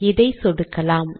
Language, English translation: Tamil, And click this